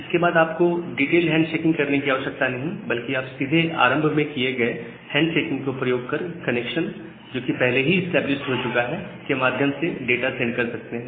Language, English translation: Hindi, But after that, you do not need to do that detailed handshaking rather you can directly use the previous handshaking part the connection that has already been established to send further data